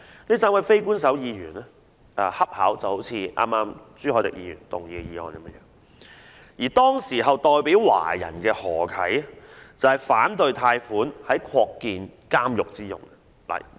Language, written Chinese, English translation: Cantonese, 這3位非官守議員的要求恰巧就是類似剛才朱凱廸議員動議的議案，而當時代表華人的何啟則反對貸款作擴建監獄之用。, It so happened that the request made by these three Unofficial Members was similar to that in the motion moved by Mr CHU Hoi - dick earlier and the then representative of Chinese Dr HO Kai opposed the use of a loan for the extension of the prison